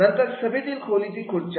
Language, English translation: Marathi, Then meeting room chairs